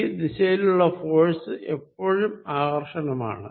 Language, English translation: Malayalam, So, the force is in this direction, this is always attractive